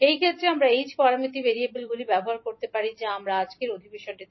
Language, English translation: Bengali, So in those cases we can use the h parameter variables which we will discuss in today's session